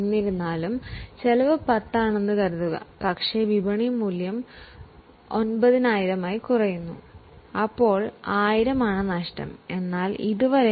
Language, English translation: Malayalam, However, suppose the cost is 10 but market value falls to 9,000, then there is a possibility of loss of 1,000